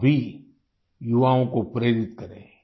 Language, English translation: Hindi, You too motivate the youth